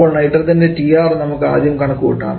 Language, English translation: Malayalam, So TR first we calculate for nitrogen